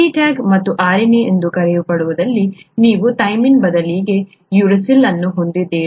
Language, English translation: Kannada, CTAG and in, in what is called RNA, you have the uracil instead of thymine